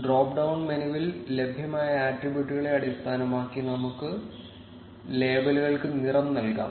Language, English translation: Malayalam, Let us color the labels based on the attributes available in the drop down menu